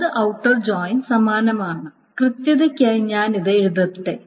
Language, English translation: Malayalam, Right outer join is similar and let me just write it down for correctness